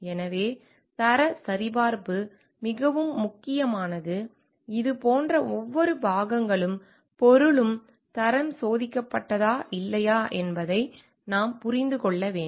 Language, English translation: Tamil, So, having quality check is very, very important, like, we have to understand like whether this each and every parts and material have been quality tested or not